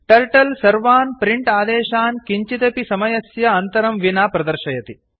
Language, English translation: Sanskrit, Turtle displays all print commands without any time gap